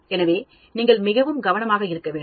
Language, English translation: Tamil, So, you have to be very careful